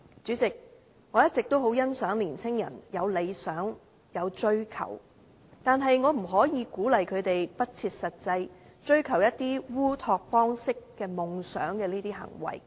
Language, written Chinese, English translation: Cantonese, 主席，我一直也很欣賞年青人有理想和追求，但我不可以鼓勵他們不切實際，追求烏托邦式夢想的行為。, President I always appreciate young peoples dreams and quests but I cannot encourage them to unrealistically aspire to an utopia